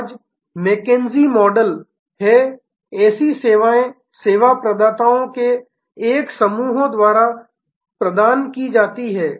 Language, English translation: Hindi, Today, this is the mckinsey model such services are provided by a constellation of service providers